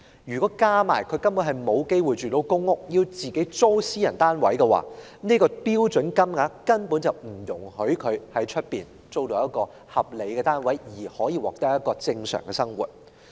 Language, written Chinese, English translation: Cantonese, 如再加上他們因沒有機會入住公屋而要租住私人單位，相關的標準金額根本不足以讓他們在市場上租住一個合理的單位，過正常的生活。, Worse still if they being excluded from public housing have to rent private accommodation the standard rate is in no way sufficient for them to rent a reasonable flat on the market to lead a normal life